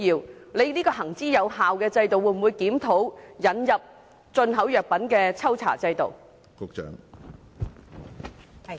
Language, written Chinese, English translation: Cantonese, 局方會否檢討這項行之有效的制度，引入進口藥品的抽查制度？, Will the Bureau review this system which has been working effectively and introduce a sampling check system on imported pharmaceutical products?